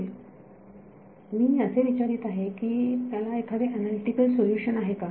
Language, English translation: Marathi, Yeah, what I am asking is does it have an analytic solution